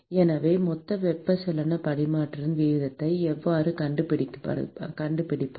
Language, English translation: Tamil, So, how do we find the total heat transfer rate